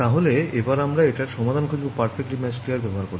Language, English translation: Bengali, So, now let us see the remedy via this so called Perfectly Matched Layers ok